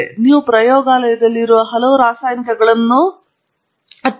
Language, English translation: Kannada, So, you could have a variety of chemicals which are present there in a lab